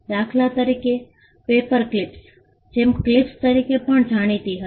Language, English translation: Gujarati, For instance; paperclips were also known as gem clips